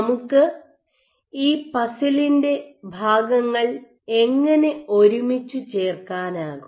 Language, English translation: Malayalam, So, how can we put the pieces of the puzzle together